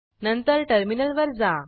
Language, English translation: Marathi, Then switch to the terminal